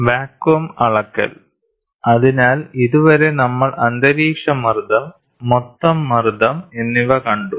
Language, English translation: Malayalam, Measurement of vacuum: so, till now we saw atmospheric pressure, total pressure